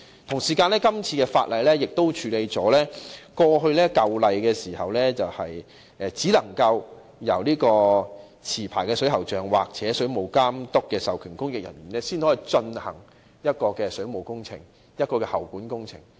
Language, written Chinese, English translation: Cantonese, 《條例草案》亦處理了現行條例中，只能由持牌水喉匠或水務監督的授權供應人員進行水務工程及喉管工程的情況。, The Bill also addresses the issue that plumbing works may only be carried out by licensed plumbers or public officers authorized by the Water Authority under the existing legislation